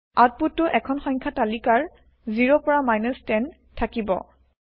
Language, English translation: Assamese, The output will consist of a list of numbers 0 through 10